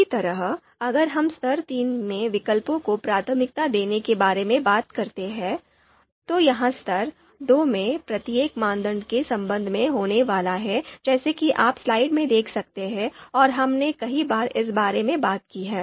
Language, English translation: Hindi, Similarly if we talk about prioritizing alternatives in level three, so this is going to be with regard to each criterion in level two as you can see in slide and we have talked about this so many times